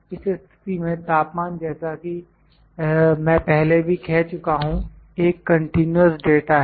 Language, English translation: Hindi, Temperature as I said is a continuous data in this case